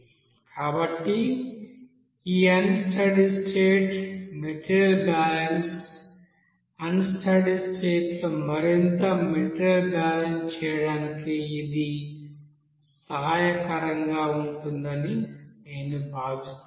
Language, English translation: Telugu, So this you know unsteady state material balance, I think it would be helpful to do further this material balance in unsteady state condition